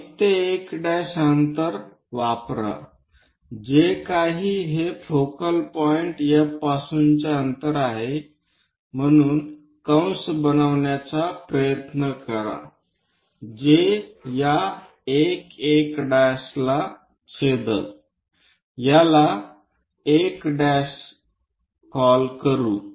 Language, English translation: Marathi, Use a distance of 1 to 1 prime whatever this one as the distance from focal point F try to make an arc which is going to cut this 1 1 prime let us call this one